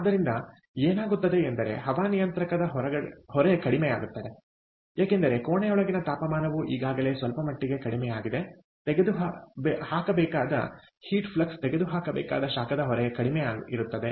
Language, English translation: Kannada, the air conditioning load goes down, because the temperature inside the room is already reduced to certain extent, the heat flux that needs to be removed, the heat load that needs to be removed is less